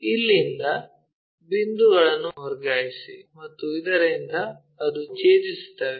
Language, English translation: Kannada, From here transfer the points, so that it intersects